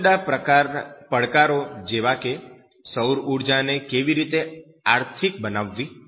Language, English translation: Gujarati, Different challenges like how to make solar energy economical